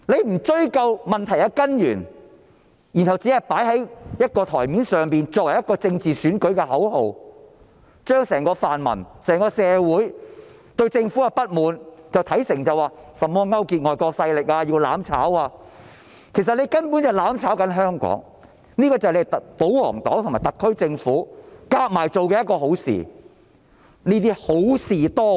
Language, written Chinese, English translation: Cantonese, 他們不追究問題的根源，只懂在桌面上擺放政治選舉的口號，把整個泛民陣營和社會對政府的不滿視為甚麼勾結外國勢力、"攬炒"等，其實他們所做的根本是在"攬炒"香港，這便是保皇黨及特區政府聯手做的好事，他們正是好事多為。, Instead of going into the root of the problem they only know to put their election slogans on their desk interpreting the dissatisfaction of the pan - democratic camp and the society as collusion with foreign power and being mutually destructive . In fact what they are doing is actually having Hong Kong burn together with them . These are the deeds of the pro - Government camp committed in collusion with the SAR Government